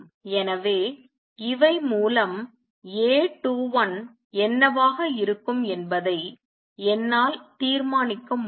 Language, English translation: Tamil, So, through these I can determine what A 21 would be